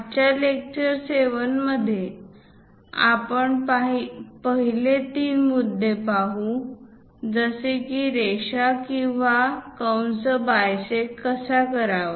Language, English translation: Marathi, In today's lecture 7, the first three points like how to bisect a line or an arc